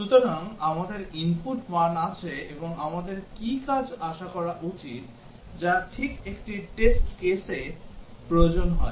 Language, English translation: Bengali, So, we have the input values and we have also what actions should be expected, which is exactly what is required for a test case